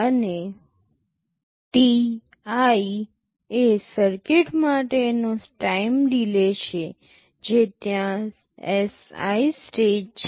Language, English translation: Gujarati, And ti is the time delay for the circuit that is there in stage Si